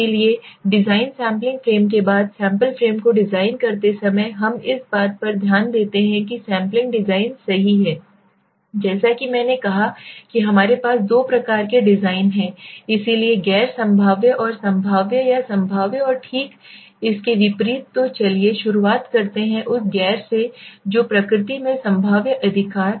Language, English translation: Hindi, So while designing the sampling frame after design sampling frame then we get into this sampling design right so as I said we have two types designs so the non probabilistic and the probabilistic or the probabilistic and vice versa right so let us start with the one which is non probabilistic in nature right